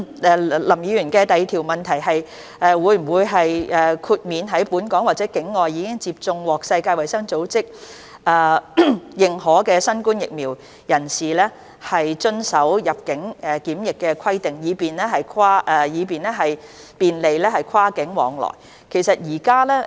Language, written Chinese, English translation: Cantonese, 林議員的主體質詢第二部分是：會否豁免在本港或境外已接種獲世界衞生組織認可新冠疫苗的人士遵守入境檢疫規定，以便利跨境往來？, Part 2 of Mr LAMs main question is whether persons who have been administered either in or outside Hong Kong those COVID - 19 vaccines recognized by WHO will be granted exemption from quarantine requirements upon entry into the territory so as to facilitate cross - boundary flow of people